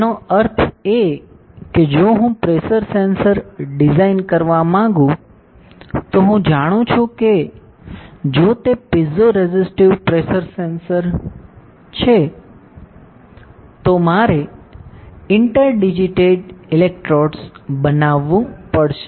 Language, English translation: Gujarati, That means if I want to design a pressure sensor, then I know that if it is a piezoresistive pressure sensor, I have to create interdigitated electrodes